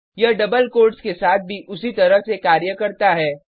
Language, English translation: Hindi, It works in similar fashion with double quotes also